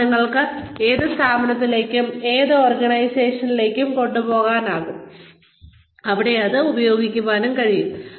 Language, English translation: Malayalam, That, you can take to, any firm, any organization, and have, and make use of it there